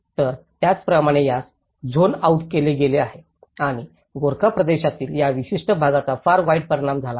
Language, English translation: Marathi, So, like that this has been zoned out and this particular region in the Gorkha region has been affected very badly